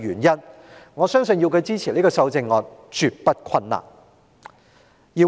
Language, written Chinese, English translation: Cantonese, 因此，我相信要他支持這項修正案絕不困難。, Therefore I believe it would not be difficult for him to this amendment